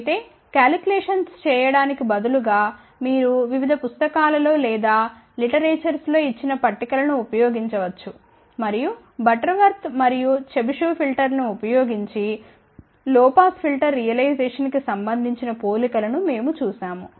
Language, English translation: Telugu, However, instead of doing the calculations you can use the tables given in the various books or in the literature and then we had looked at the comparison of the low pass filter realization using Butterworth and Chebyshev filter